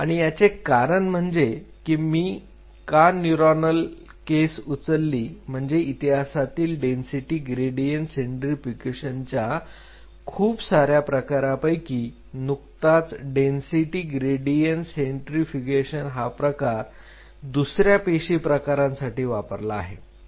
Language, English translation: Marathi, And the reason for me to pick up the neuronal case because those are the last one in the history of this kind of density gradient centrifugation where they are being used the earlier density gradient centrifugation has been used for other cell types